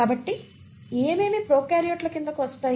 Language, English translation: Telugu, So what all comes under prokaryotes